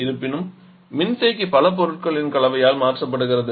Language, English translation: Tamil, However, the condenser is replaced by a combination of several other components